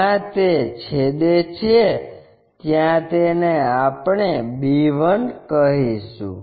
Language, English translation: Gujarati, Where it is going to intersect let us call b1